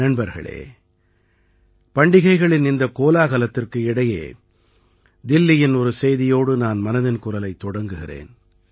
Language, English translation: Tamil, Friends, amid the zeal of the festivities, I wish to commence Mann Ki Baat with a news from Delhi itself